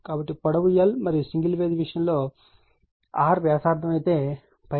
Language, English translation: Telugu, So, if length is l and the single phase case if r is the radius, so pi r square l right